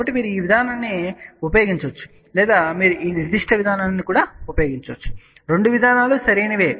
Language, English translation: Telugu, So, you can use either this approach or you can use this particular approach, both the approaches are correct